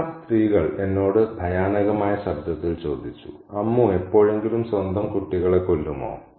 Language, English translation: Malayalam, The fat woman asked me in a horrified voice, Amu would mothers ever kill their own children